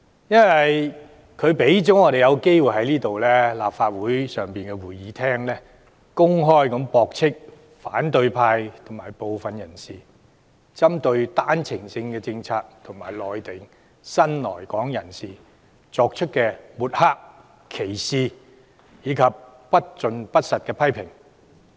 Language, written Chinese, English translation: Cantonese, 因為他讓我們有機會在立法會會議廳上公開駁斥，反對派及部分人士針對單程證政策及內地新來港人士作出的抹黑、歧視及不盡不實的批評。, For he provides us the chance to openly refute the smearing discriminatory remarks and invalid criticisms raised by the opposition and a handful of others on One - way Permit OWP and on the new arrivals from Mainland China in the Chamber of this Council